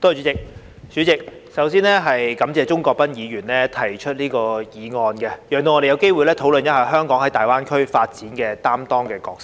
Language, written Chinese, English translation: Cantonese, 代理主席，首先，感謝鍾國斌議員提出議案，讓我們有機會討論香港在粵港澳大灣區發展中擔當的角色。, Deputy President first of all I would like to thank Mr CHUNG Kwok - pan for moving this motion which gives us an opportunity to discuss the role of Hong Kong in the development of the Guangdong - Hong Kong - Macao Greater Bay Area GBA